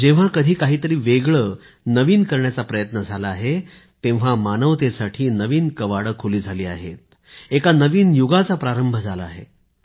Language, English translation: Marathi, Whenever effort to do something new, different from the rut, has been made, new doors have opened for humankind, a new era has begun